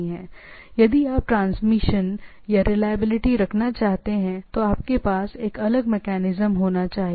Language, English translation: Hindi, If you want to have a reliability on the things, you should have a different mechanism of the things